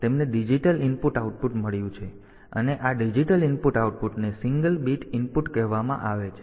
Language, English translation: Gujarati, So, they have got a digital input output and these digital inputs outputs are being say a single bit input